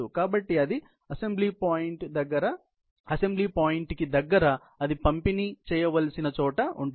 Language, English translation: Telugu, So, that it can be located near to that assembly point, where it is to be delivered